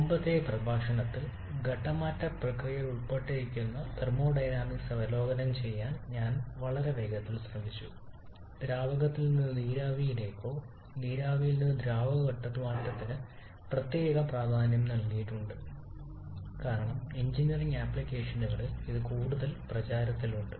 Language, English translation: Malayalam, In the previous lecture I have very quickly tried to review the thermodynamics involved in the phase change process with particular emphasis on the liquid to vapour or vapour to liquid phase change because that is the more prevalent situation in engineering applications